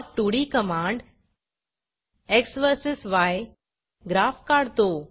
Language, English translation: Marathi, plot2d command plots a graph of x verses y as you see